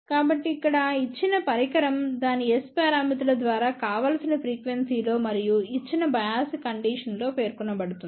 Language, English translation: Telugu, So, here a given device is specified by its S parameters at the desired frequency and given biasing conditions